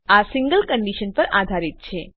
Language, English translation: Gujarati, These are based on a single condition